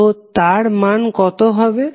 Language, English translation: Bengali, So, what would be the value